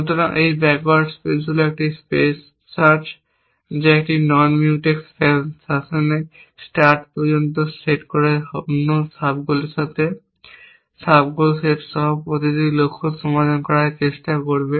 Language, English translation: Bengali, So, this backward space is a search space which will try to solve every goal set with sub goal set with another sub goal set right up to the start set in a non Mutex fashion